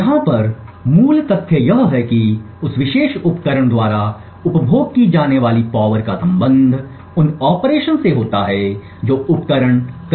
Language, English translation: Hindi, The basic fact over here is that the power consumed by this particular device is correlated with the operations that the device does